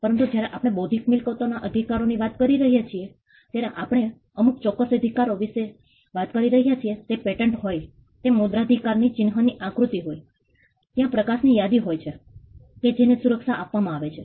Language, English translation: Gujarati, But when we talk about intellectual property rights we are talking about a specific right be it a patent be it copyright trademark design there are a list of light which are granted protection